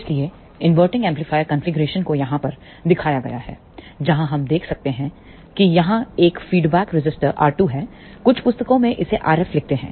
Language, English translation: Hindi, So, an inverting amplifier configuration is shown over here, where we can see that there is a feedback resistor R 2, in some books they write R F